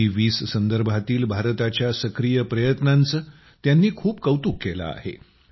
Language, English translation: Marathi, They have highly appreciated India's proactive efforts regarding G20